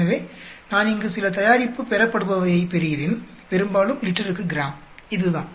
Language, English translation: Tamil, So, I am getting some product yield here, mostly in grams per liter, this is the amount